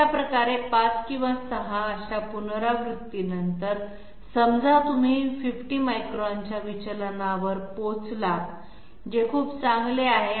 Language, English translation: Marathi, So this way say after 5 or 6 such iterations, you hit upon a deviation of 50 microns that is very good